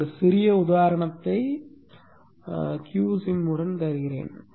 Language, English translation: Tamil, I will just show one small example with QSim